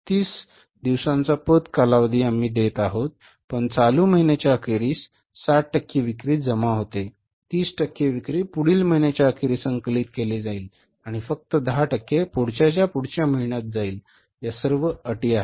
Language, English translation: Marathi, 30 days credit period we are giving but 60% of sales are collectible at the end of the current month 60% 30% of the sales will be collected by the end of next month and only 10% will go to the next to next month collection